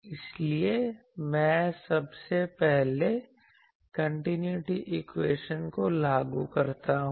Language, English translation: Hindi, So, I just first invoke the continuity equation